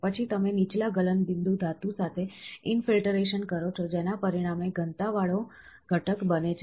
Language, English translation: Gujarati, Then you infiltrate with lower melting point metal resulting in the density finishing component